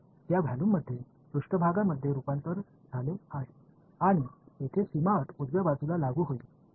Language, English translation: Marathi, That is where so that volume has been converted to a surface and boundary condition will get applied on the right hand side over here ok